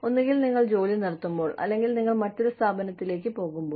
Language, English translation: Malayalam, Either, you stop working, or, you move on to another organization